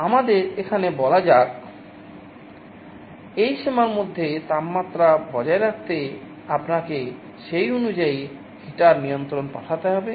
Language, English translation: Bengali, Let us say here, to maintain the temperature within this range, you have to send the heater control accordingly